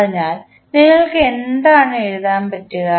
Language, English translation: Malayalam, So, what you will write